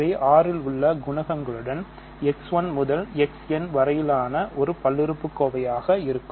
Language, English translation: Tamil, So, these are going to be polynomials in X 1 through X n with coefficients in R ok